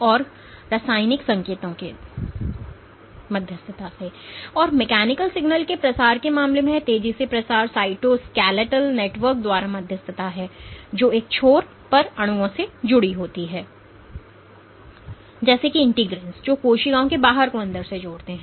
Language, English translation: Hindi, And this fast propagation in case of mechanical signal propagation is mediated by the cytoskeletal network, which on one end is attached to molecules like integrins which link the outside of the cells to the inside